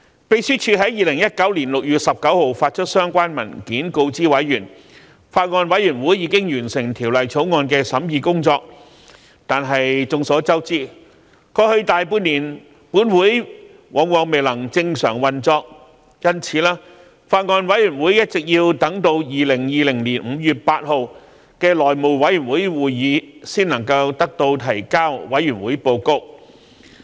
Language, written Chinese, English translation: Cantonese, 秘書處在2019年6月19日發出相關文件告知委員，法案委員會已經完成《條例草案》的審議工作；但眾所周知，過去大半年，本會往往未能正常運作，因此法案委員會一直要等至2020年5月8日的內務委員會會議才能提交報告。, In a paper released on 19 June 2019 the Secretariat informed members that the Bills Committee had already finished its deliberation work on the Bill . However as we all know over the past half year or so this Council could not operate normally most of the time and thus it was not until the House Committee meeting on 8 May 2020 that the Bills Committee was able to submit its report